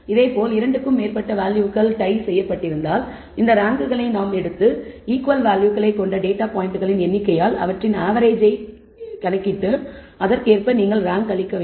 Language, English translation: Tamil, Similarly if there are more more than 2 values which are tied we take all these ranks and average them by the number of data points which have equal values and correspondingly you have to in the rank